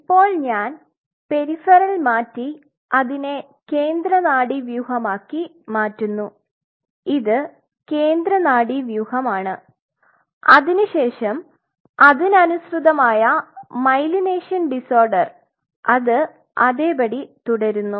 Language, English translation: Malayalam, Now I am just changing peripheral, now I make it central nervous system this is central nervous system then its corresponding myelination disorder of course, that remains the same